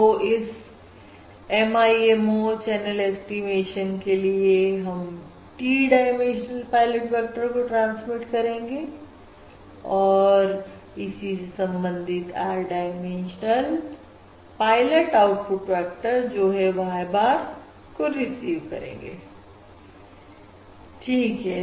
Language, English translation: Hindi, So, for MIMO channel estimation, we will transmit T dimensional pilot vectors and we will receive corresponding, corresponding R dimensional pilot um output vectors, that is, the Y bars, correct